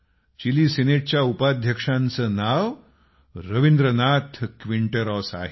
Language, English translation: Marathi, The name of the Vice President of the Chilean Senate is Rabindranath Quinteros